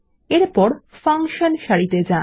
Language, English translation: Bengali, Next, we will go to the Function row